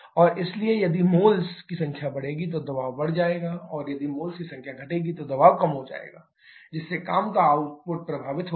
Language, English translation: Hindi, And therefore, if the number of moles increase the pressure will increase number of moles decreases the pressure will decrease thereby affecting the work output